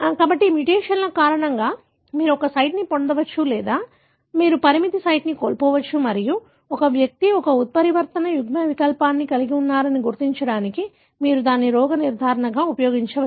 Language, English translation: Telugu, So, because of the mutation, you may gain a site or you may loose a restriction site and you can use that as a diagnosis to identify an individual is carrying a mutant allele